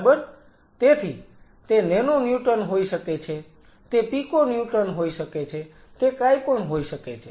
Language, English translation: Gujarati, So, what is it could be nano Newton, it could be Pico Newton, it could be whatever